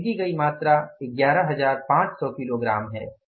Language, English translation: Hindi, Quantity purchased is 11,500 KG